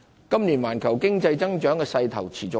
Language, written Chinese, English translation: Cantonese, 今年環球經濟增長的勢頭持續。, The growth momentum of the global economy holds up this year